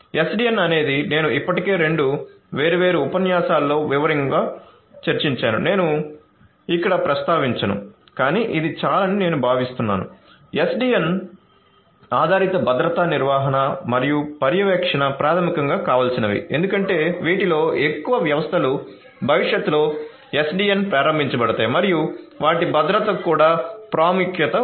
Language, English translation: Telugu, SDN is something that I have already discussed in detail in two different lectures I am not going to mention or elaborate it further over here, but I think this is quite understandable, SDN based security management and monitoring is basically what is desirable because most of these systems are going to be in the future SDN enabled and their security is also of importance